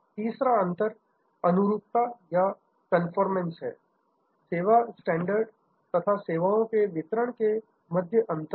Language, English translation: Hindi, The third gap is conformance; that is between the service standard and the service delivery